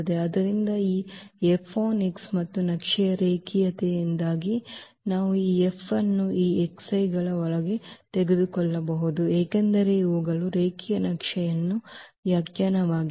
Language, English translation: Kannada, So, this F on x and due to the linearity of the map we can take this F here inside this x i’s because these are the constant that is the definition of the linear map